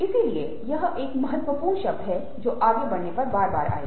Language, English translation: Hindi, so this is a key term which will come again and again as we proceed